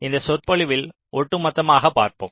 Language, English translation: Tamil, so we look at into the overall picture in this lecture